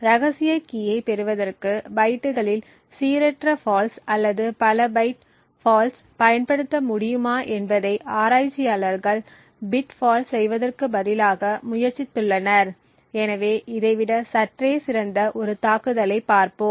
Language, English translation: Tamil, Instead of having a bit fault the researchers have tried to find out whether other kinds of faults such as random faults in bytes or multiple byte falls can be exploited to obtain the secret key, so let us see an attack which is slightly better than this one